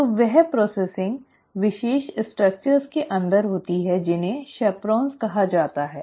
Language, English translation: Hindi, So, that processing happens inside special structures which are called as chaperones